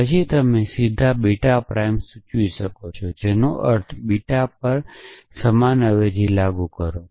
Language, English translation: Gujarati, Then you can imply beta prime directly, which means apply the same substitution to beta